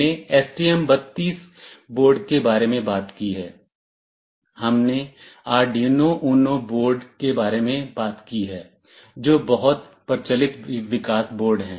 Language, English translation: Hindi, We have talked about the STM32 board, we have talked about the Arduino UNO board that are very popular development boards